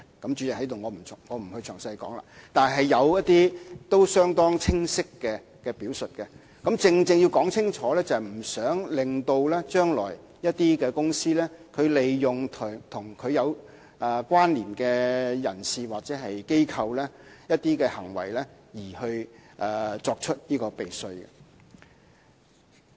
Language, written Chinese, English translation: Cantonese, 主席，我在此便不詳細說了，但確實是有一些相當清晰的表述，而它正正是要說清楚這一點，不想將來某些公司會利用與它有關連的人士或機構，通過某些行為作出避稅行為。, Chairman I will not go into the details here but some very clear illustrations have indeed been given to provide expressly that a company could not make use of persons or corporations connected with that company to engage in tax avoidance practices through certain arrangements